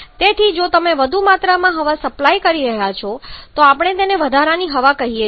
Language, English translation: Gujarati, So, if you are supplying higher one quantity of air they recall that excess air